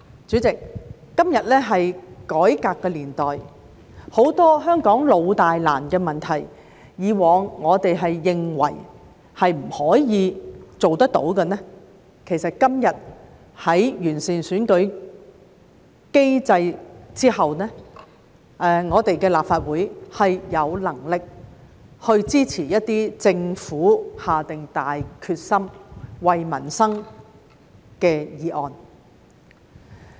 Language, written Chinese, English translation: Cantonese, 主席，今天是改革的年代，很多香港老大難的問題，以往我們認為不可以做到的，其實今天在完善選舉機制之後，立法會是有能力支持一些政府下定大決心、為民生的議案。, President we are in the era of reform today and regarding many long - standing and thorny problems in Hong Kong that we thought we could not tackle in the past actually after the improvement of the electoral system the Legislative Council is capable of supporting motions proposed by the Government with determination for the benefit of the peoples livelihood